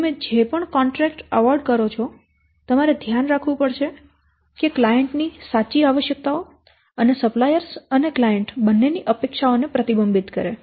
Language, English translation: Gujarati, So, whatever the contract you are finally awarding, that should reflect the true requirements of the client and the expectations of both the suppliers and the clients